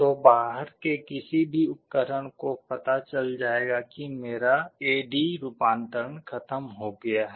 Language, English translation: Hindi, So, any device outside will know that my A/D conversion is over